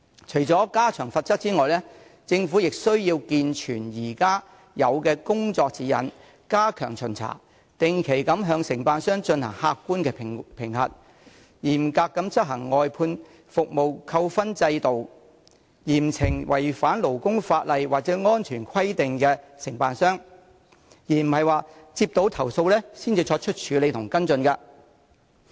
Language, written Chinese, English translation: Cantonese, 除了加重罰則外，政府亦須完善現有的工作指引，加強巡查和定期對承辦商進行客觀評核，嚴格執行外判服務扣分制度，並嚴懲違反勞工法例或安全規定的承辦商，而不是接獲投訴後才處理及跟進。, Apart from increasing the penalties the Government should also improve the existing working guidelines step up inspections and carry out objective assessments of contractors regularly strictly enforce the demerit point system for outsourced services and impose severe punishments on contractors in breach of labour legislation or safety requirements rather than handling and following up cases after complaints are received